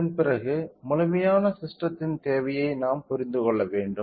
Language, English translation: Tamil, So, after that we should understand about the complete system requirement